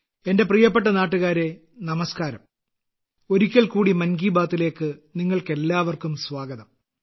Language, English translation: Malayalam, Once again a warm welcome to all of you in 'Mann Ki Baat'